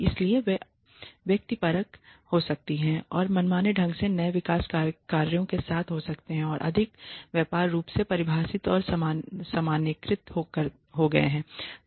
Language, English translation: Hindi, So, they could be subjective and arbitrary they could be with new developments jobs have become more broadly defined and generalized